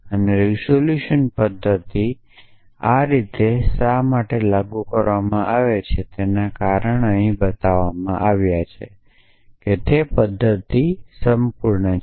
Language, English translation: Gujarati, And the reason why the resolution method is implemented in this manner is, because it has been shown that the method is complete